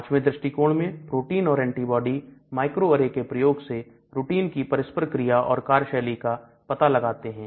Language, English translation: Hindi, The fifth approach is protein and antibody microarray used for screening of protein interaction and its function